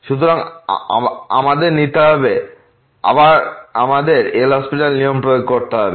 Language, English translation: Bengali, So, we have to take we have to apply the L’Hospital’s rule again